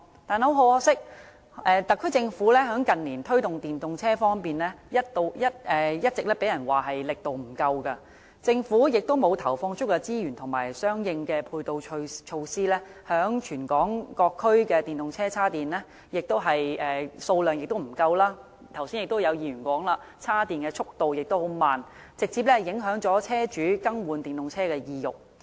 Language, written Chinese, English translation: Cantonese, 但很可惜，特區政府近年在推動電動車方面，一直被人批評力度不足，政府沒有投放足夠資源和相應配套措施，加上全港各區的電動車充電位的數量不足，而議員剛才也提到充電度緩慢的問題，直接影響車主更換電動車的意欲。, Unfortunately in recent years the SAR Governments efforts to promote EVs have been criticized for lacking in vigour . The Government has neither deployed sufficient resources nor provided any support measures . Also there is a shortage of EV charging facilities across the territory and a Member has also mentioned the slow speed of chargers